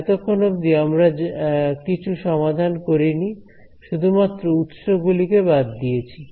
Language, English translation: Bengali, So, so far we have not actually solved anything we have just eliminated sources